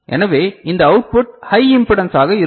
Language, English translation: Tamil, So, then this output will be high impedance